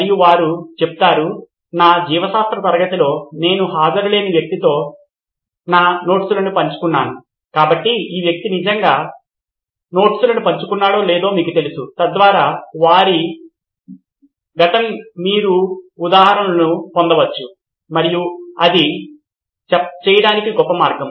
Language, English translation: Telugu, And they would say in my biology class I have shared my notes with guy who was absent, so then you know this guy is really shared the notes or not, so that way you can get instances from their past and that would be a great way to do it